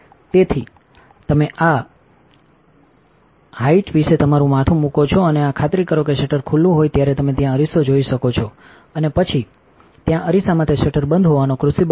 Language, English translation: Gujarati, So, you put your head about this height and to make sure you can see the mirror there when the shutter is open, and then the mirror there it look sample the crucible the shutter is closed